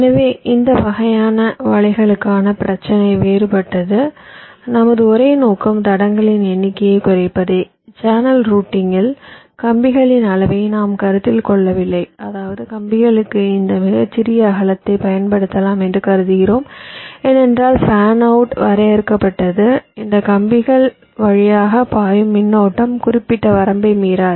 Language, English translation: Tamil, our sole objective was to minimize the number of tracks, for example in channel routing, and we did not consider the sizing of the wires, which means we assume that we can use this smallest possible width for the wires because fan out is limited and the current flowing through these wires will not cross certain limit